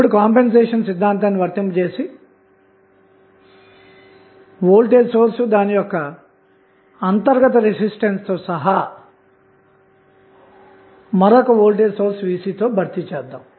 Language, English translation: Telugu, Now, we apply the compensation theorem and we replace the voltage source with its internal resistance and put 1 another voltage source that is Vc